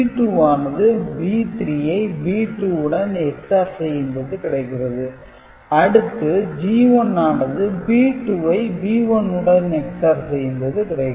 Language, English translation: Tamil, G 1 is B 2 XORed with B 1, I mean same way G 1 we get B 2 XORed with B 1, G naught we will get B 1 XORed with B 0